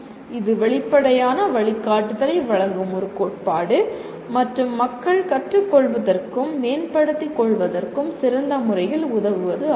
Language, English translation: Tamil, It is a theory that offers explicit guidance and how to better help people learn and develop